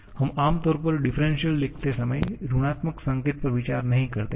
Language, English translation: Hindi, We generally do not consider the negative sign while writing the differentials